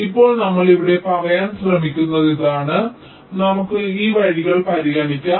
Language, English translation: Malayalam, what we are trying to say here is that lets consider these paths